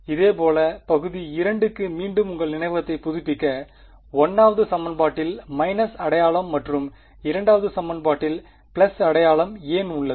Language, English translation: Tamil, Similarly for region 2 again just to refresh your memory; why is there a minus sign in the 1st equation and a plus sign in the 2nd equation